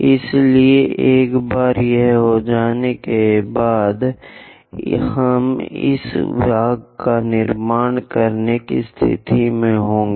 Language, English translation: Hindi, So, once it is done, we will be in a position to construct this part